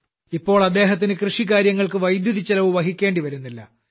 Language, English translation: Malayalam, Now they do not have to spend anything on electricity for their farm